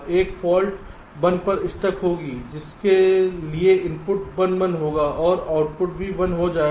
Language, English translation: Hindi, one fault will be a, stuck at one, for which the inputs will be one one and the output will also become one